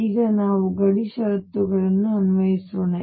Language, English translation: Kannada, Now let us apply boundary conditions